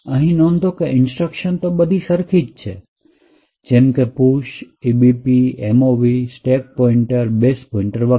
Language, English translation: Gujarati, Note, the same instructions over here you have push EBP, mov stack pointer base pointer and so on